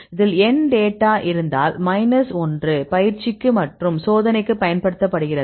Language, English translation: Tamil, In this case if you have n data n minus 1 are used for the training and the left out is used for the test